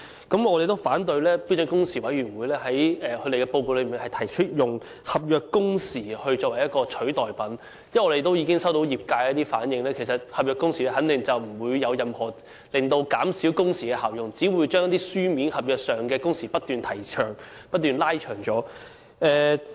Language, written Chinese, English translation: Cantonese, 我們反對標時委員會在其報告內提出，以合約工時作為代替品，因為業界已向我們反映，合約工時肯定不能達到任何減少工時的效用，只會將書面合約的工時不斷延長。, We object to the proposal put forward by SWHC in its report to substitute standard working hours with contract working hours because members of the sector have reflected to us that the introduction of contract working hours could never achieve the effect of reducing working hours and working hours specified in written contracts would only keep lengthening